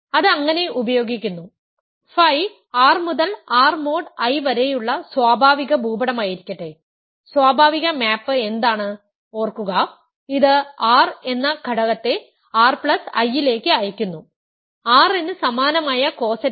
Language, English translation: Malayalam, It just uses so, let the let phi be the natural map from R to R mod I, what is the natural map remember, it sends an element r to r plus I, the co set corresponding to r